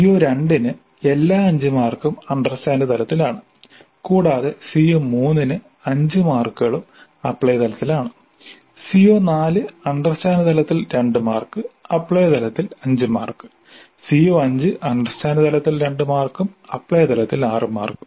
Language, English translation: Malayalam, For CO2 all the 5 marks are at understand level and for CO3 all the 5 marks are at apply level and for CO4 2 marks are at understand level and 5 marks are at apply level and for CO5 2 marks at understand level and 6 marks at apply level